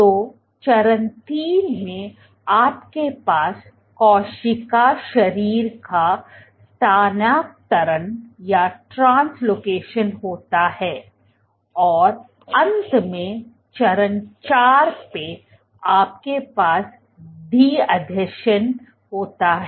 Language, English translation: Hindi, So, in step 3 you have translocation of the cell body and finally, in step 4 you have de adhesion